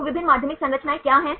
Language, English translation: Hindi, So, what are the various secondary structures